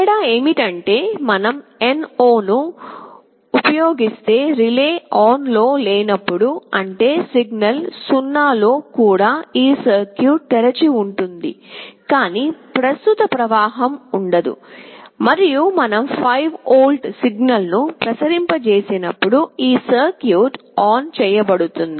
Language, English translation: Telugu, The difference is that if we use NO then when the relay is not on; that means, the signal is 0, this circuit will also be open and there will be no current flowing, but when we apply a signal of 5 volts, this circuit will be turning on